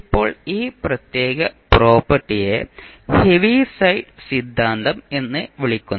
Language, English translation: Malayalam, Now, this particular property is called the ‘Heaviside Theorem’